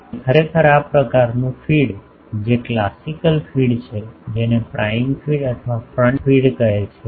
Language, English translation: Gujarati, So, actually this type of feed which is the classical feed that is called prime feed or front feed feed